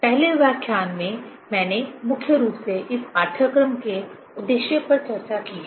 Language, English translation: Hindi, In the first lecture, mainly I have discussed: what is the aim of this course